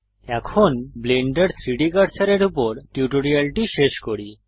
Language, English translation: Bengali, So that wraps up our tutorial on Blenders 3D Cursor